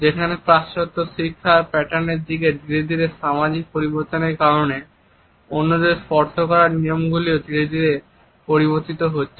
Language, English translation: Bengali, There are certain other cultures in which because of the gradual social changes towards a westernized education pattern norms about touching others are also changing gradually